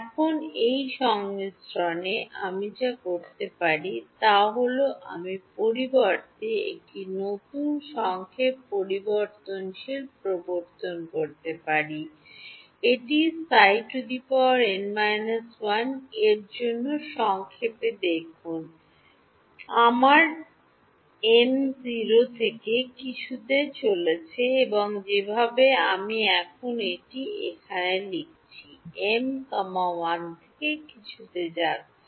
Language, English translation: Bengali, Now, in this summation, what I can do is I can introduce a new summation variable instead of, see this in the summation for psi m minus 1, my m is going from 0 to something and the way that I have written it over here now m is going from 1 to something